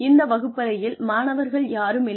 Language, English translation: Tamil, There are no students in this classroom